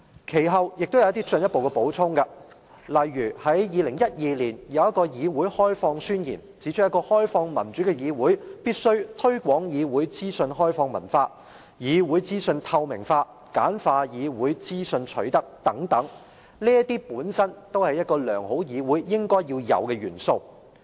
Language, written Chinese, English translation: Cantonese, 其後，他們提出了進一步補充，例如在2012年的"議會開放宣言"，當中指出一個開放民主的議會，必須推廣"議會資訊開放文化"、"議會資訊透明化"、"簡化議會資訊取得"等，這些都是一個良好議會應有的元素。, After that the two organizations made an addition to the Guide . In the Declaration on Parliamentary Openness made in 2012 for example it points out that a democratic and open parliament must promote a culture of openness on parliamentary information make parliamentary information transparent and ease access to parliamentary information and so on . These are the essential elements of a good parliament